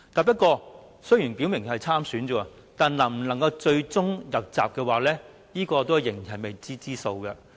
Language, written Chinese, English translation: Cantonese, 不過，雖然他們表明會參選，但最終能否入閘，仍然是未知之數。, But despite their announcements it is still not known whether they can eventually enter the starting gate